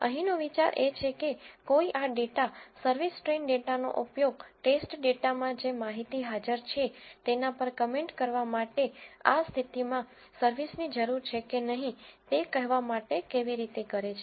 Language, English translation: Gujarati, The idea here is how do one use this data, service train data, to comment upon for the readings which present which are present in the service test data to tell whether service is needed or not in this case